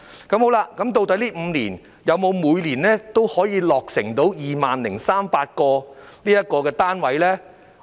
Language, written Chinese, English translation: Cantonese, 究竟這5年來，是否每年都可以落成 20,300 個單位？, Were there 20 300 completed units in each of the past five years?